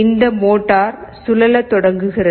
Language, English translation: Tamil, Now see, this motor starts rotating